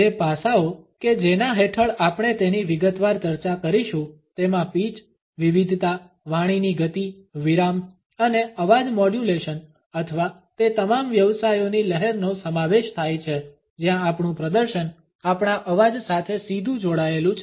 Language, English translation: Gujarati, The aspects which we would discuss in detail under it includes pitch, variation, speed of speech, pause and voice modulation or waviness in all those professions where our performance is directly linked with our voice